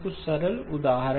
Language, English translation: Hindi, Some simple examples